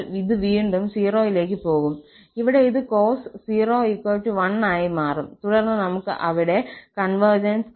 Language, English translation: Malayalam, So, this will again go to 0, here this will become cos 0 as 1 and then we have to see the convergence there